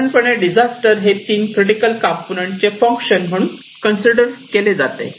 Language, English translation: Marathi, So, disaster in general is considered to be the function of these 3 components as it is very clear